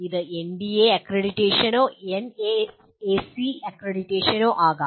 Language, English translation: Malayalam, It can be NBA accreditation as well as NAAC accreditation